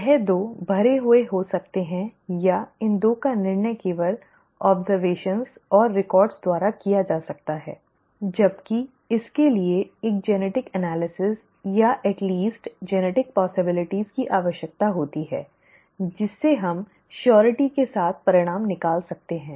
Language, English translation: Hindi, These 2 can be you know, filled in or these 2 can be decided just by observations and records, whereas this requires a genetic analysis or a at least genetic possibilities which we can deduce with surety